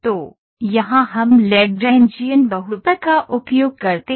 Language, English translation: Hindi, So, here we use Lagrangian polymer